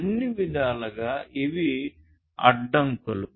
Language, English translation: Telugu, So, in all respects these are constraints